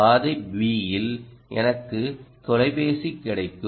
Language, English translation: Tamil, route b is i will get the phone